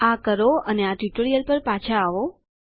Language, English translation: Gujarati, Please do so and return back to this tutorial